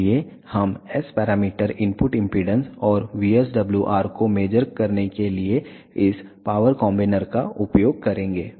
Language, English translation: Hindi, So, we will be using this power combiner measure the S parameters input impedance and VSWR